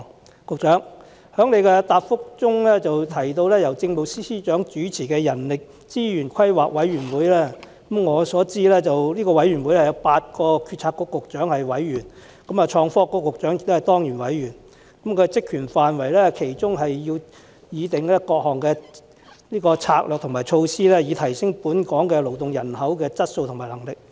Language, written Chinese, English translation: Cantonese, 以我所知，局長在主體答覆中提到由政務司司長主持的人力資源規劃委員會，這個委員會由8個政策局局長擔任委員，創新及科技局局長也是當然委員，其職權範圍包括擬訂各項策略和措施，以提升本港勞動人口的質素和能力。, I know that the Secretary mentioned in his main reply HRPC chaired by the Chief Secretary for Administration . HRPC comprises eight Policy Bureau directors and Secretary for Innovation and Technology is an ex - officio member . The terms of reference of HRPC include formulating various strategies and measures to enhance the quality and capacity of the local working population I wish to ask the Secretary this question